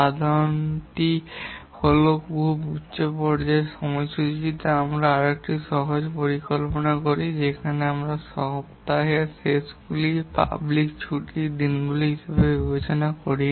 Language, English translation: Bengali, The idea is that at a very high level scheduling we make a simpler plan where we don't take into consider weekends, public holidays and so on